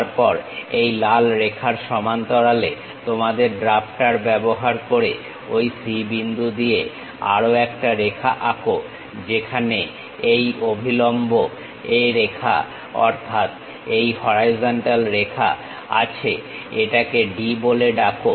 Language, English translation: Bengali, Then use your drafter parallel to this red line, draw one more line passing through that point C wherever this perpendicular A line means this horizontal line call it D